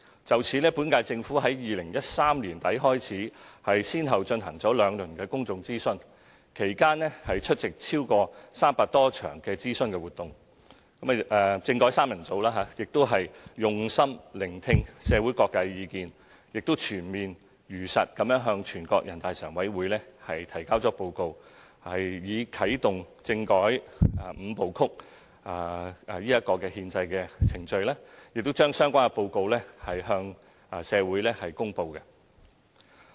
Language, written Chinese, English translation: Cantonese, 就此，本屆政府在2013年年底開始，先後進行了兩輪的公眾諮詢，其間出席超過300場諮詢活動，"政改三人組"用心聆聽社會各界的意見，並且全面地、如實地向全國人大常委會提交報告，以啟動政改"五步曲"的憲制程序，並將有關報告向社會公布。, In this connection since the end of 2013 the current - term Government had conducted two rounds of public consultation and attended more than 300 consultation events during the process . The constitutional reform trio listened attentively to the views of various sectors in society comprehensively and truthfully reported to the Standing Committee of the National Peoples Congress NPCSC so as to initiate the constitutional procedures for the Five - step Process of constitutional reform and released the relevant report to the community